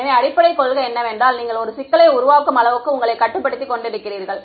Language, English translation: Tamil, So, the basic principle is the more you limit yourselves the harder you make a problem